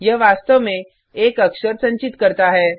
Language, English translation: Hindi, It can store exactly one character